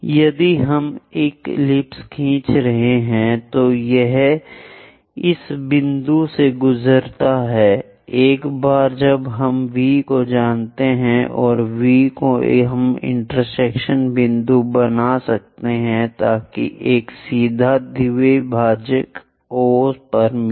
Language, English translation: Hindi, If we are drawing an ellipse, it goes via this points, once we know V prime and V we can make intersection point so that a perpendicular bisector meets at O